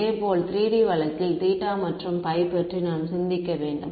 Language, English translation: Tamil, Similarly in the 3 D case I have to think about theta and phi ok